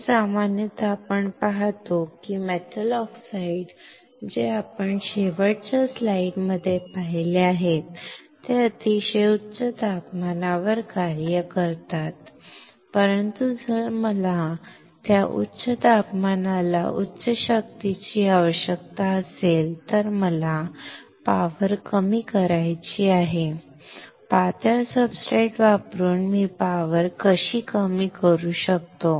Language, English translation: Marathi, So, generally you see that metal oxides that we have seen in last slide they all operate at very high temperature, but if I that very high temperature requires high power I want to reduce the power; how can I reduce the power, by using a substrate which is thin